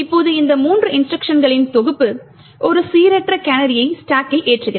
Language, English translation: Tamil, Now this set of three instructions essentially loads a random canary into the stack